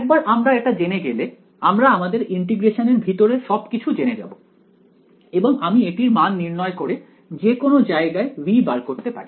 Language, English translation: Bengali, Once we knew this, then we knew everything inside the integrand and I could evaluate this and find out V anywhere right